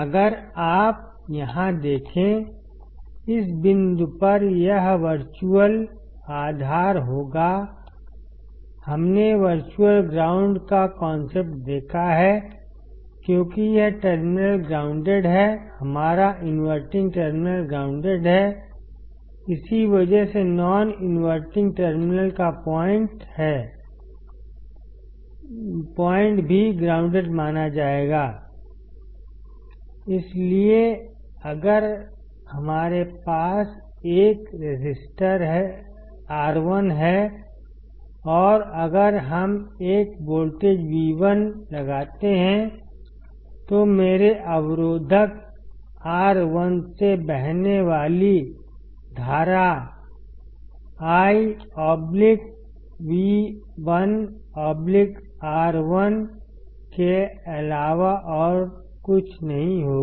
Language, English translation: Hindi, If you see here; at this point it will be virtual ground; we have seen the concept of virtual ground because this terminal is grounded, our inverting terminal is grounded that is why the point at the non inverting terminal will also be considered as grounded; So, if we have a resistor R1; and if we apply a voltage V1 then the current flowing through my resistor R1 would be nothing but current I equal to V1 by R1